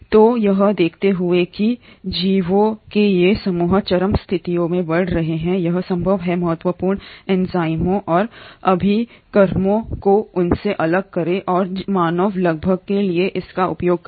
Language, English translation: Hindi, So given that these groups of organisms grow under extreme conditions it is possible to isolate important enzymes and reagents from them and use it for the human benefit